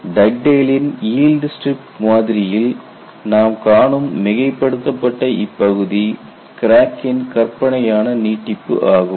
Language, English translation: Tamil, We go to the Dug dale's yield strip model and this is the fictitious extension of the crack and this is very highly exaggerated